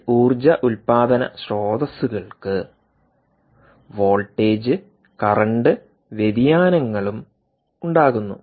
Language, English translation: Malayalam, these energy generating sources incur voltage and current variations